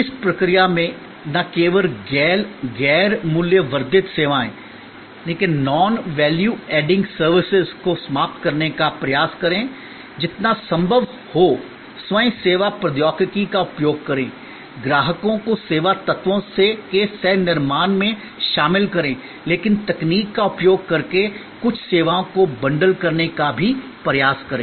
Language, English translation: Hindi, In the process try to, not only eliminate non value adding services, use as much of self service technology as possible, include customers co creation of the service elements, but try also to bundle some services using technology